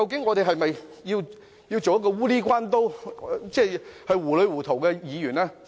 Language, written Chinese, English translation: Cantonese, 我們是否要做糊裏糊塗的議員？, Do we want to become muddle - headed Members?